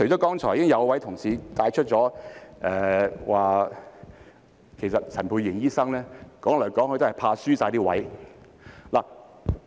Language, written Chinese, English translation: Cantonese, 剛才已經有同事帶出一點，指陳沛然醫生說來說去其實也是怕輸了席位。, Earlier on some colleagues already pointed out that after so much had been said Dr Pierre CHAN was actually afraid of losing his seat